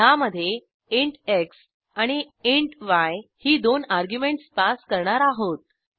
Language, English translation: Marathi, In these we have passed two arguments int x and int y